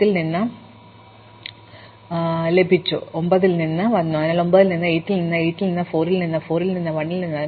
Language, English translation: Malayalam, So, we can say that, I got from 10, I came from 9, so 9 came from 8, so 8 came from 4, 4 came from 1